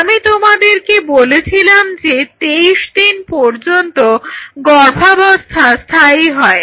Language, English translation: Bengali, So, I told you that the pregnancy goes up to say E 23, 23 days